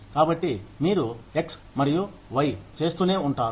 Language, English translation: Telugu, So, you keep doing x and y